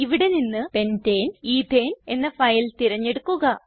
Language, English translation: Malayalam, Select the file named pentane ethane from the list